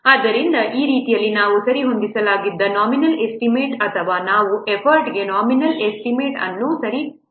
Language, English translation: Kannada, So in this way, so we are getting the adjusted nominal estimate or the we are adjusting the nominal estimate for the effort